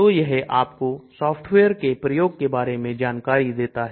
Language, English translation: Hindi, So it gives you information about using this software